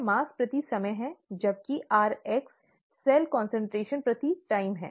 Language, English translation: Hindi, It is mass per time, whereas rx is cell concentration per time